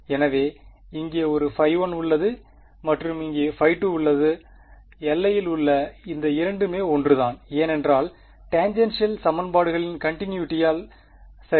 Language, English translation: Tamil, So, there is a phi 1 here and there is a phi 2 here, the 2 on the boundary are the same because continuity of tangential equations right